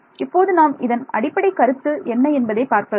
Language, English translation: Tamil, So, let us see what is the basic idea